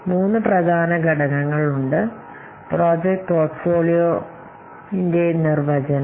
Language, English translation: Malayalam, Let's see about first the project portfolio definition